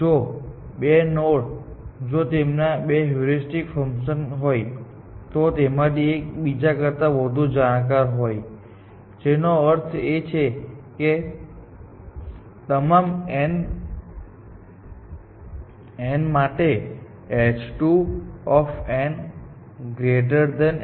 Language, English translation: Gujarati, We also saw that if two nodes, if their two heuristic functions, one of them is more informed than the other, which means h 2 of n is greater than h 1 of n, for every n